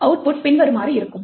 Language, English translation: Tamil, The output looks as follows